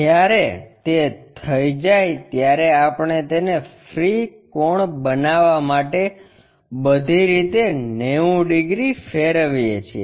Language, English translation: Gujarati, When it is done we rotate it by 90 degrees all the way to construct free angle